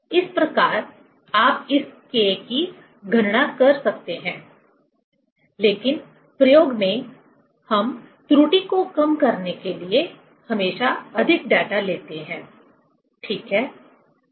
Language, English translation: Hindi, Thus, you can calculate this K; but in experiment, always we take more data to reduce the error, ok